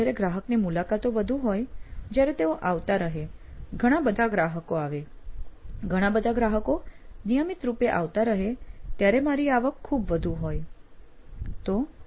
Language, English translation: Gujarati, So when we have many customer visits, if they keep coming, and there are many of them, many of the customers who are coming in regularly, then my revenue is very high